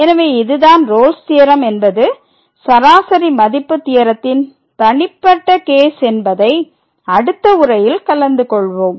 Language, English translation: Tamil, So, this is the Rolle’s Theorem which is a particular case of the mean value theorem which we will discuss in the next lecture